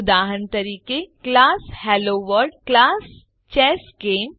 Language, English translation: Gujarati, * Example: class HelloWorld, class ChessGame